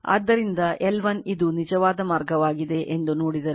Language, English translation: Kannada, So, L 1 if you see that this is actually mean path